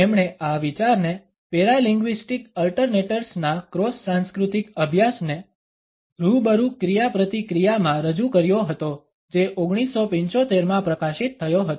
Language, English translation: Gujarati, He had introduced this idea in cross cultural study of paralinguistic ‘alternates’ in Face to Face Interaction which was published in 1975